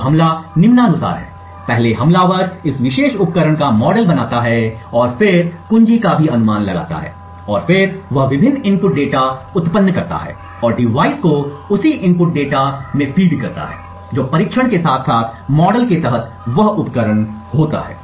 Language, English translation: Hindi, Now the attack goes as follows, first the attacker creates a model of this particular device and then also guesses the key and then he generates various input data and feeds the same input data to the device which is under test as well as to the model of that device